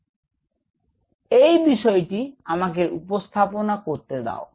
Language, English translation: Bengali, So, let me introduce that